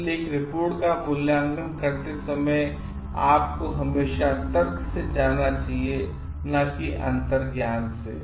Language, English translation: Hindi, So, while evaluating a report, you should always be moving by reasoning and not by intuition